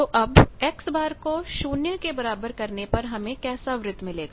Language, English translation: Hindi, Now, what is an X bar is equal to 0 circles